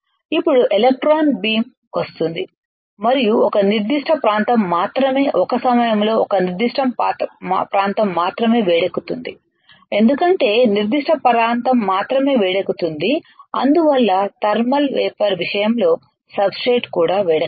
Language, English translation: Telugu, Now the electron beam will come and only a particular area only a particular area at a time will get heated up, because only particular area gets heated up that is why the substrate also will not get heated up as much as in case of thermal evaporation where we were heating the entire material entire material at a time right